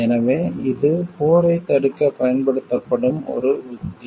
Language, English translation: Tamil, So, it is a strategy to use to prevent war